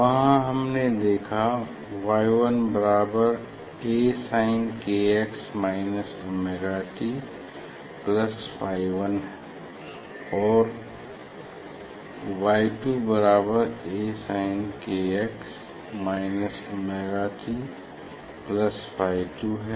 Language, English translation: Hindi, there what we have seen Y 1 equal to A sin k x minus omega t plus phi 1; Y 2 A sin k x minus omega t plus phi 2